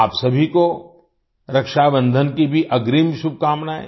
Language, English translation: Hindi, Happy Raksha Bandhan as well to all of you in advance